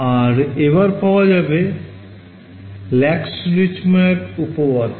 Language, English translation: Bengali, And, we have that Lax Richtmyer theorem as well